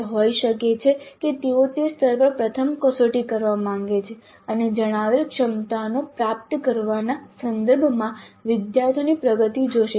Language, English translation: Gujarati, It could be that they would like to first test at that level and see what is the progress of the students in terms of acquiring competencies stated